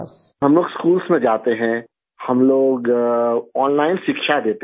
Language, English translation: Hindi, We go to schools, we give online education